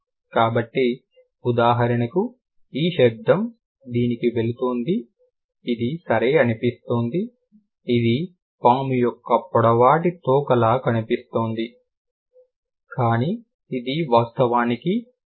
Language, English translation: Telugu, So, for example, this sound is going to, this is, this looks like a, okay, this looks like a long tail of a snake, but this is actually sure